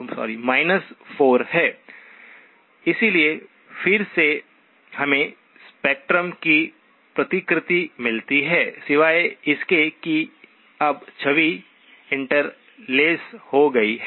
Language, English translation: Hindi, So again we get a replication of spectrum except that now the image is seemed to have been interlaced